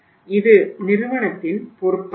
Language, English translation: Tamil, It is the responsibility of the company also